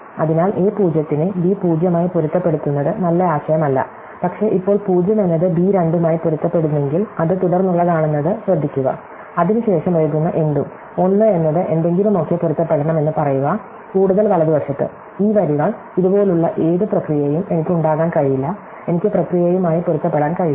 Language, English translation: Malayalam, So, it is not good idea match a 0 to be b 0, but now notice that if a 0 is match to b 2, because it is the subsequence, then anything to the write, say a 1 is match to something it must be further to the right, these lines, I cannot have anything which process like this, I cannot any match with process